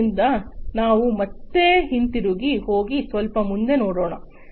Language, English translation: Kannada, So, let us now again go back and look little further